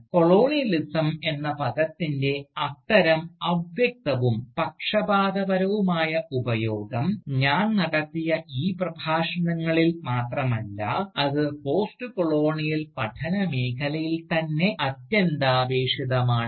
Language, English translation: Malayalam, Now, such vague, and indeed, biased use of the term Colonialism, has been integral, not only to these Lectures, that I have delivered, but it has been integral indeed, to the field of Postcolonial studies itself